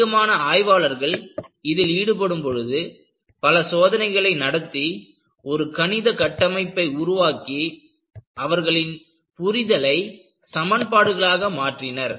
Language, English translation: Tamil, Once, more and more people get involved, people conduct tests and try to formulate a mathematical framework and try to capture there understanding as equations